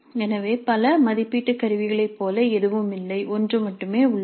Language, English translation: Tamil, So there is nothing like multiple assessment, there is only one